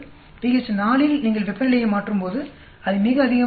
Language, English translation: Tamil, At pH 4 when you change temperature it is going up very high